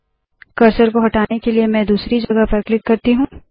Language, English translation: Hindi, I will click at a different location to move the cursor away